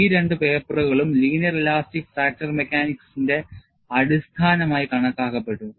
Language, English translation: Malayalam, These two papers were considered as fundamental ones for linear elastic fracture mechanics